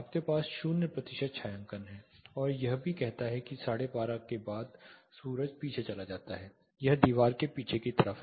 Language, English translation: Hindi, You have 0 percent shading and it also says after 12:30 the sun goes behind that is it is on the rear side of the wall